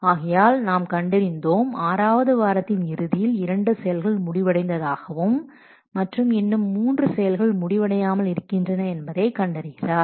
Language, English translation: Tamil, So now we have observed that by the end of week six, two activities have been completed and the three activities are still unfinished